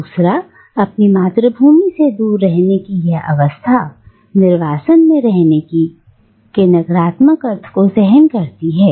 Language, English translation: Hindi, Secondly, this state of living away from their homeland bears the negative connotation of being in exile